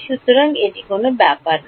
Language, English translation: Bengali, So, it does not matter